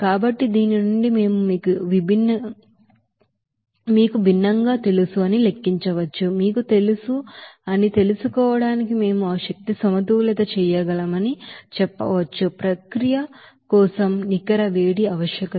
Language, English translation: Telugu, So from this we can of course calculate that you know different, we can say that we can do that energy balance to find out that you know, net heat requirement for the process